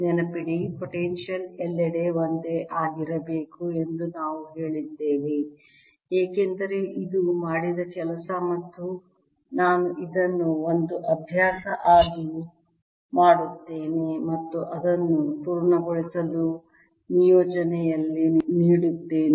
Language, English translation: Kannada, remember we said potential should be the same everywhere because of the interpretation that this is the work done and i'll leave this is as an exercise and give it in the assessments for you to complete